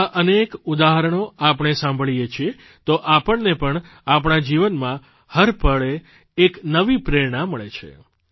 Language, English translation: Gujarati, When we come to know of such examples, we too feel inspired every moment of our life